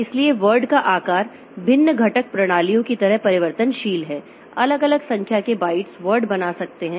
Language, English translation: Hindi, So, so word size is variable like in different computer systems different number of bytes can make up word